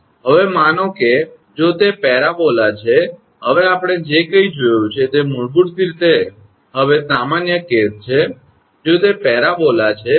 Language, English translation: Gujarati, Now, suppose if it is a parabola now whatever we have seen that is basically general case now if it is a parabola